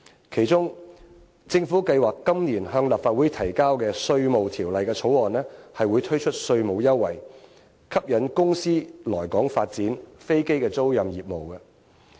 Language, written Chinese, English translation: Cantonese, 其中，政府計劃今年向立法會提交修訂《稅務條例》的條例草案，推出稅務優惠，吸引公司來港發展飛機租賃業務。, One of the measures is the Governments plan to introduce a bill into the Legislative Council this year to amend the Inland Revenue Ordinance to offer tax concession so as to attract companies to develop aircraft leasing business in Hong Kong